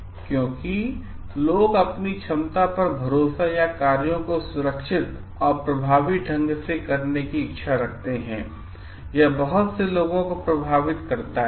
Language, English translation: Hindi, So, because people rely on their ability or willingness to perform tasks safely and effectively and it effects a lot of people